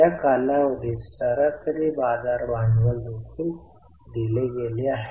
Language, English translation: Marathi, Average market capitalization over the period is also given